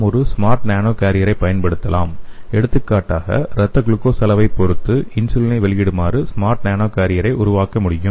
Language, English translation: Tamil, We can use a smart nano carrier for example we can make a smart nano carrier which can release the insulin depending on the blood glucose level